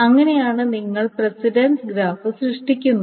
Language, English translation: Malayalam, That's how you create the precedence graph